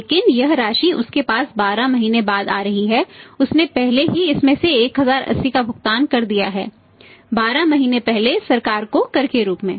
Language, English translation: Hindi, But this amount is coming to him after to 2400 is coming to him after 12 months out of this has already paid 12 months back 1080 is a tax to the government